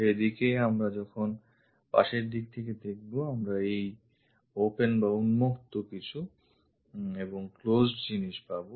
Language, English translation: Bengali, In that way when we are looking from side view, we have this open thing and closed one